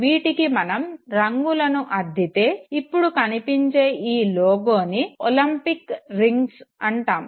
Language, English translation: Telugu, You provide various colors to the rings and this is what we call as olympic rings